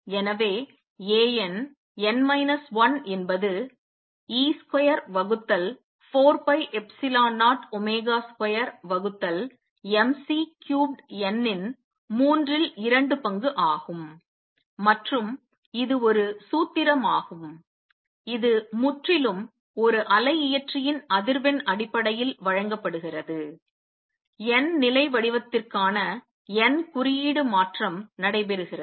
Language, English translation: Tamil, So, A n, n minus 1 is 2 third e square by 4 pi epsilon 0 omega square by m C cubed n and this is a formula which is given purely in terms of the frequency of the oscillator the n index for the level form is the transition is taking place